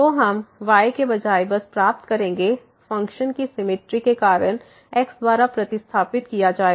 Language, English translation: Hindi, So, we will get just instead of the y will be replaced by because of the symmetry of the functions